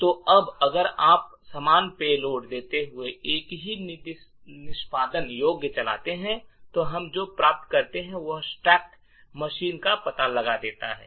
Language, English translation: Hindi, So now if you run the same executable giving the same payload, what we obtain is that stacks machine gets detected